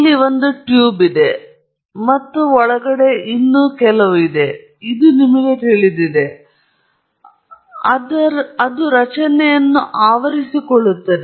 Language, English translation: Kannada, So, let’s say there is a tube here, and this is inside some, you know, structure that is there which envelopes it